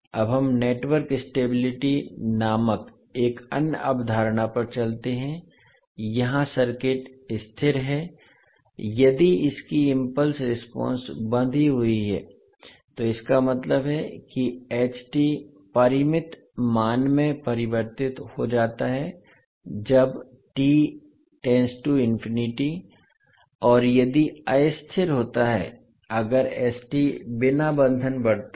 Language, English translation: Hindi, Now let us move on to another concept called network stability, here the circuit is stable if its impulse response is bounded, means the h t converses to the finite value when t tends to infinity and if it is unstable if s t grows without bounds s t tends to infinity